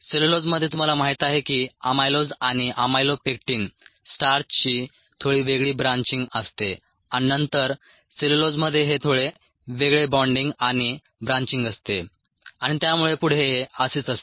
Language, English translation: Marathi, the cellulose happens to be have a slightly different branching, ah you know, ah, amylose and amylopectin starch, and then cellulose is sightly ah, different bonding and branching and so on, so forth